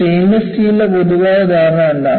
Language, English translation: Malayalam, What is a common impression of a stainless steel